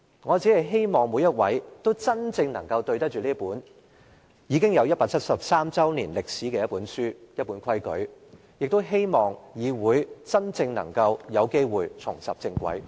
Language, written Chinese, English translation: Cantonese, 我只希望每位議員都能真正對得起這本已有173年歷史的規則，亦希望議會真正能夠有機會重拾正軌。, I just hope that all Members will be accountable to this set of rules which has a history of 173 years . I also hope that the Council will be on the right track one day